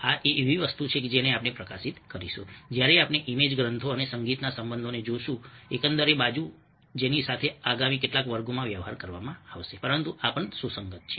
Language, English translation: Gujarati, this is something which we will highlight when we look at the relationship of images, texts and music the overall, which will be dealing with in the next few classes, but these are also relevant